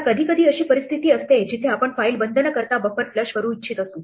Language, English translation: Marathi, Now, sometimes there are situations where we might want to flush the buffer without closing the file